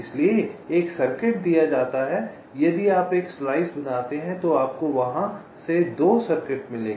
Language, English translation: Hindi, so, given a circuit, if you make a slice you will get two circuits from there